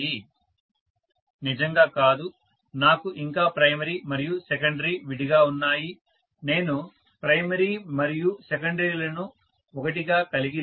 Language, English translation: Telugu, Not really, I still have a primary and secondary separately, I am not having primary and secondary together